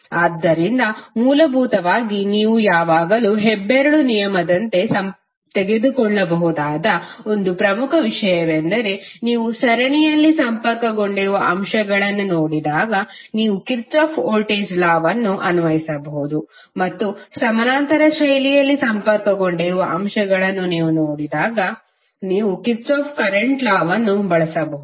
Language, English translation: Kannada, So basically one important thing which you can always take it as a thumb rule is that whenever you see elements connected in series you can simply apply Kirchhoff’s voltage law and when you see the elements connected in parallel fashion, you can use Kirchhoff’s current law